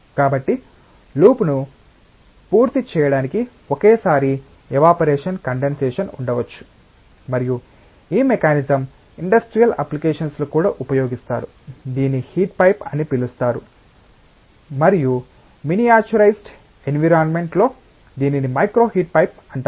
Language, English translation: Telugu, So, there can be an evaporation condensation simultaneously going on to complete the loop, and this mechanism is used in even industrial applications this is known as heat pipe, and in a miniaturised environment this is known as micro heat pipe